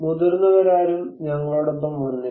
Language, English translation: Malayalam, No grown ups came with us